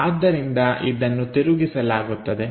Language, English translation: Kannada, So, this will be flipped